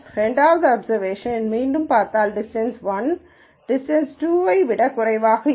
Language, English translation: Tamil, The second observation again if you look at it distance 1 is less than distance 2